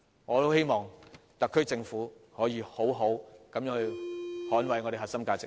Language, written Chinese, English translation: Cantonese, 我十分希望特區政府可以好好捍衞我們的核心價值。, I very much hope that the SAR Government can do its best to defend our core values